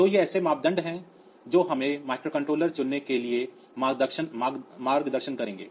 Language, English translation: Hindi, So, these are the criteria that will guide us to choose the microcontroller